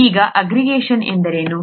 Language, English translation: Kannada, Now what is aggregation